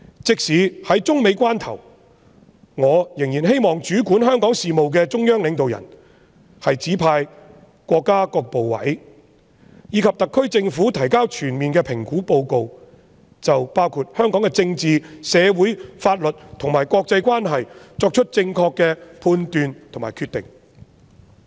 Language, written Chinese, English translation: Cantonese, 即使中美關係正處於關鍵時刻，我仍然希望主管香港事務的中央領導人，指示國家各部委及特區政府提交全面的評估報告，就香港的政治、社會、法律和國際關係等範疇作出正確的判斷和決定。, Despite the fact that it is a critical juncture for the China - United States relations I still hope that the leaders of CPG in charge of Hong Kong affairs will instruct the various ministries and commissions of the State and the SAR Government to submit a comprehensive assessment report that carries an accurate judgment and decision on issues such as the political social legal aspects and international relations of Hong Kong